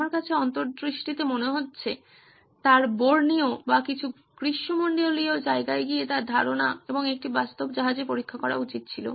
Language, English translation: Bengali, To me in hindsight looks like he should have gone to Borneo or some tropical place and tested his idea and on a real ship